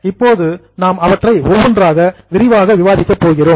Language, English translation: Tamil, Then I will go ahead, we are going to discuss each of them in detail